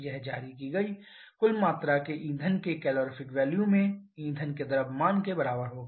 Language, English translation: Hindi, That will be equal to mass of fuel into the calorific value of the fuel near the total amount of energy released